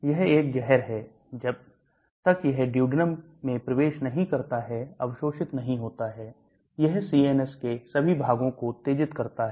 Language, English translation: Hindi, It is a poison; it is not absorbed until it enters duodenum, it stimulates all parts of the CNS